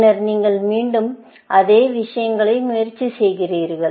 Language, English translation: Tamil, Then, you try all these same things again